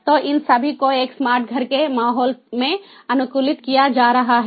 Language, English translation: Hindi, so all these are going to be optimized in a smart home environment